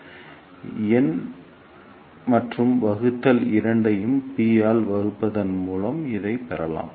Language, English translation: Tamil, So, we can ah get this by dividing both numerator and denominator by p